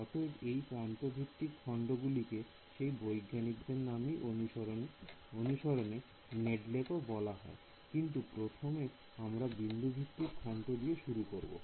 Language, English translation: Bengali, So, this edge based elements also are they are named after the scientist who discovered it Nedelec ok, but first we will start with node based elements